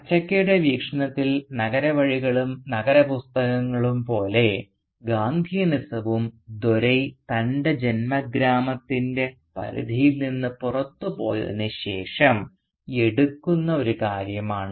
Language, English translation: Malayalam, So from Achakka’s perspective, Gandhianism, just like the city ways and the city books, is a thing that Dore picks up after he moves out of the ambit of his native village